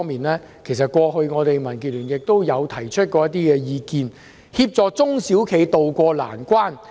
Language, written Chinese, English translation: Cantonese, 民建聯過去曾促請政府，協助中小企渡過難關。, DAB has urged the Government to help small and medium enterprises SMEs to tide over the difficulties